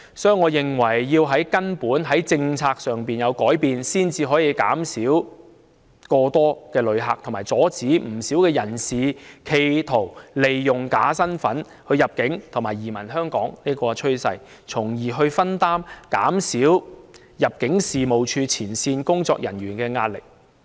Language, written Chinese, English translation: Cantonese, 所以，我認為必須從根本、從政策上作出改變，才可以減少旅客過多的情況，以及阻止有人企圖利用假身份入境和移民香港的趨勢，從而分擔及減少入境處前線工作人員的壓力。, The process is both taxing and prone to cause anxiety . Therefore I think it is a must that fundamental changes should be made to the policies before the problem of excessive visitors can be alleviated and the trend of people attempting to use false identities to enter and migrate to Hong Kong can be halted thus easing and reducing the pressure on the front - line ImmD officers